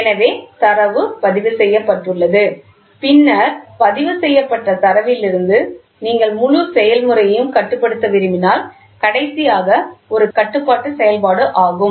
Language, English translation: Tamil, So, the data is recorded so and then it if from the recorded data if you want to control the entire process then the last one is the control function